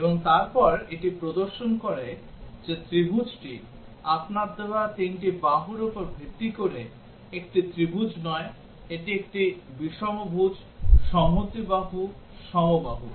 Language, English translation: Bengali, And then it displays whether the triangle, it is not a triangle based on the three sides you entered, it outputs not a triangle, it is a scalene, its isosceles, equilateral